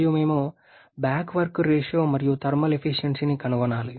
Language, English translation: Telugu, And we want to work out the back work ratio and thermal efficiency